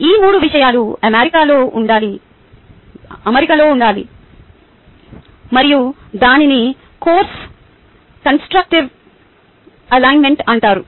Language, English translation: Telugu, all these three things need to be in alignment, and thats what is called as constructive alignment